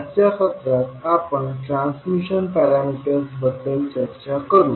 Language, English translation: Marathi, So in today’s session we will discuss about transmission parameters